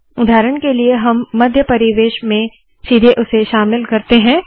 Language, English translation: Hindi, For example, we put it directly inside the center environment